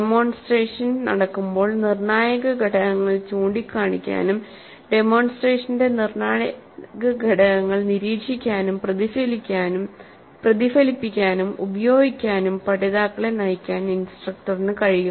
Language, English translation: Malayalam, So while demonstration is in happening, instructor can point out to the critical elements and guide the learners into observing, reflecting on and using those critical points, critical elements of the demonstration